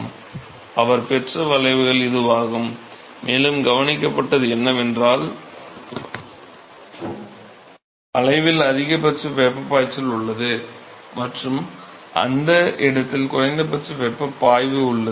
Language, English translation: Tamil, So, so this is the kind of curve that he obtained, and what was observed is that there is a maximal heat flux on the curve and there is a minimal heat flux in that place